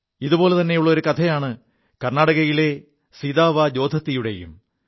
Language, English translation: Malayalam, A similar story is that of Sitavaa Jodatti from Karnataka